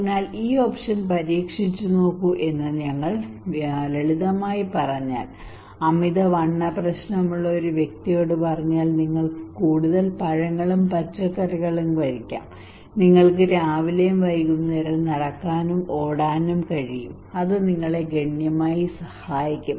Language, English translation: Malayalam, So if we simply say like this one that try this option, a person who is having obesity issue if we simply tell them okay you can eat more fruits and vegetables and you can walk and run on the morning and evening that would significantly help you to reduce your fat your obesity issue